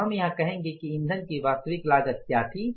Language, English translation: Hindi, So, we will say here that what was the actual cost of the fuel